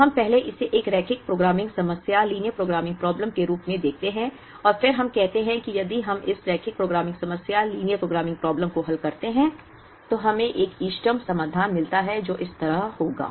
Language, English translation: Hindi, So, let us first take a look at this as a linear programming problem, and then let us say that if we solve this linear programming problem, we get an optimal solution which will be like this